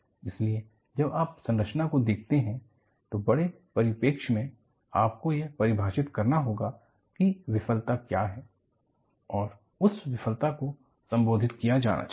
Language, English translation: Hindi, So, when you are really looking at structure, in the larger perspective, you will have to define, what the failure is and that failure, should be addressed